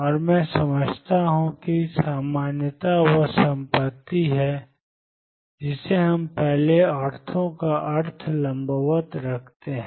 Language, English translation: Hindi, And let me explain normality is the property that we in first ortho means perpendicular